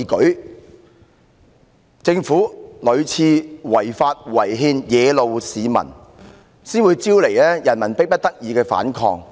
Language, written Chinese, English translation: Cantonese, 是政府屢次違法違憲惹怒市民，才招致他們迫不得已的反抗。, Members of the public were angered by the Governments repeated violation of the law and constitution and so they were forced to resist as a last resort